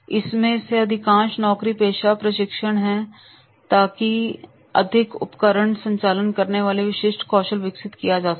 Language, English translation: Hindi, Much of this is on the job training to develop the specific skills to operate more advanced equipments